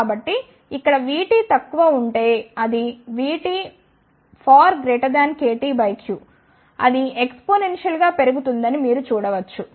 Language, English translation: Telugu, So, here you can see if VT is less it if V is much greater than the KT by q, then it will increase exponentially